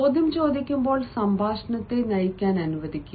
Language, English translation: Malayalam, i mean when the question is asked, let the interviewer lead the conversation